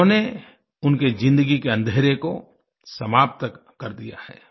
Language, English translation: Hindi, He has banished the darkness from their lives